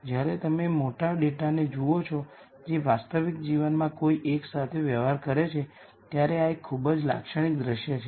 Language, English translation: Gujarati, This is a very typical scenario when you look at large data that one deals with in real life